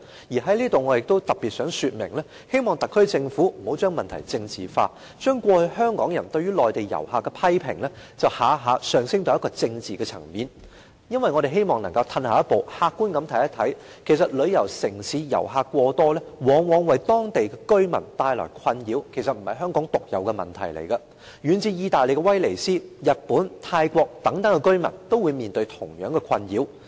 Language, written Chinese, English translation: Cantonese, 我在此特別想說明，希望特區政府不要將問題政治化，將過去香港人對於內地遊客的批評，一概提升至政治層面，因為我們希望能夠退後一步，客觀地看一看，其實旅遊城市遊客過多，往往為當地居民帶來困擾，這並不是香港獨有的問題，遠至意大利的威尼斯、日本、泰國等地的居民也面對同樣的困擾。, I would like to specifically ask the Government to not politicize the issue by elevating all criticisms of Mainland visitors from Hong Kong people to the political plane . If we take a step back and look at it objectively it is actually a problem not unique to Hong Kong . Too many visitors in tourist cities often bring nuisances to local residents